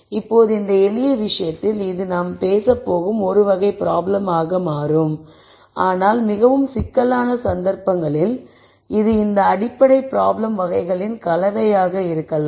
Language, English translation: Tamil, Now in this simple case it will turn out to be one type of problem that I am going to talk about, but in more complicated cases it might be a combination of these basic problem types